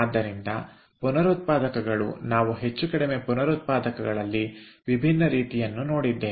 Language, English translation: Kannada, so regenerators, we have seen more or less different kind of regenerators